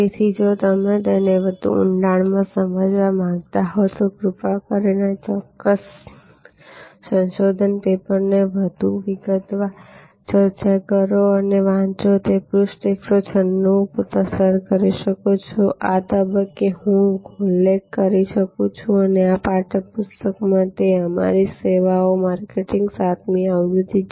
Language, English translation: Gujarati, So, if you want to understand it in greater depth then please read this particular paper in addition to the more detail discussion that you can have at page 196 and at this stage I might mention that in this text book that is our services marketing seventh edition we have a very interesting case, which is for a hotel and there challenge of revenue management